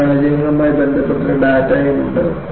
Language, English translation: Malayalam, And there is also data associated with these failures